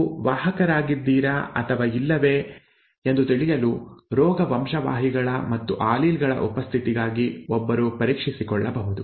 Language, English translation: Kannada, One can get tested for the presence of disease genes and alleles whether you are a a carrier or not